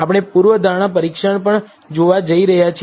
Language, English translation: Gujarati, We are also going to look at hypothesis testing